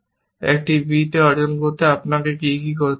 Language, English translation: Bengali, To achieve on a b, what will you have to do